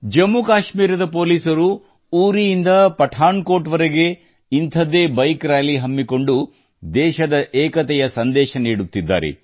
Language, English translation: Kannada, Personnel of Jammu Kashmir police too are giving this message of unity of the country by taking out a similar Bike Rally from Uri to Pathankot